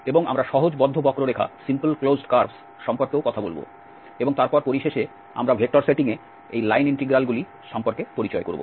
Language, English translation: Bengali, And also we will be talking about the simple closed curves and then finally, we will introduce this line integrals in vector setting